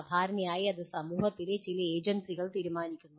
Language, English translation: Malayalam, Generally that is decided by some agency of the society